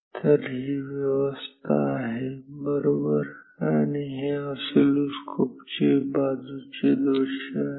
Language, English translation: Marathi, So, this is the arrangement right, this is the side view of an oscilloscope